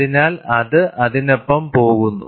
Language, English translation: Malayalam, So, it goes with that